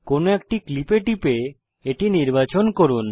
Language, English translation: Bengali, Select a clip by clicking on it